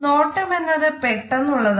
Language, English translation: Malayalam, This gaze is immediate